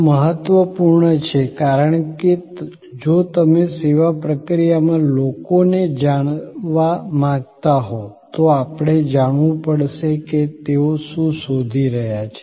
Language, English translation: Gujarati, This is important because, if you want to know people in the service process, then we have to know, what they are looking for